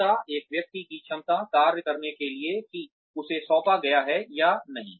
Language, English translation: Hindi, The competency, the capability of a person, in order to perform the job, that he or she has been assigned